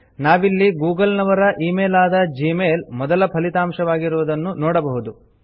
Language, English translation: Kannada, We see that the top result is for gmail, the email from google